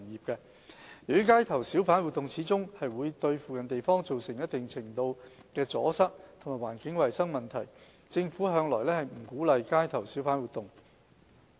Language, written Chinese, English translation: Cantonese, 由於街頭小販活動始終會對附近地方造成一定程度的阻塞和環境衞生問題，政府向來不鼓勵街頭小販活動。, Given possible obstruction and environmental hygiene problems caused to the neighbourhood on - street hawking activities have been consistently discouraged